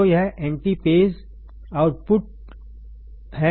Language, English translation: Hindi, So, this is the antiphase output antiphase output